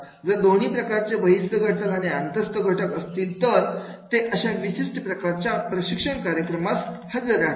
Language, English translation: Marathi, If the both the type of the extrinsic factors and intrinsic factors are there, then they will be going for this particular type of the training programs